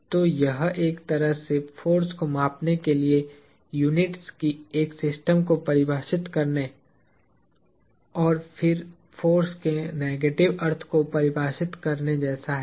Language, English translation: Hindi, So, it is kind of like defining a system of units to measure force as a matter of fact and then defining what the negative of the force would mean